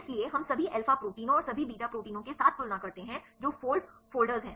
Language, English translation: Hindi, So, we compare with the all alpha proteins and all beta proteins right which are fast folders